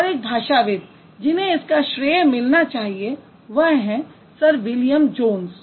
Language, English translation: Hindi, And one of the most noted linguists who should, who gets a lot of credit is Sir William Jones